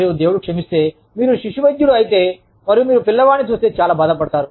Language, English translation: Telugu, And, god forbid, if you are a pediatrician, and you see a child, in so much difficulty